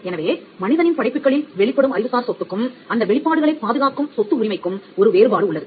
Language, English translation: Tamil, So, there is a distant distinction between intellectual property or the rights of property that manifest in certain creations made by human beings, and the right that protects these manifestations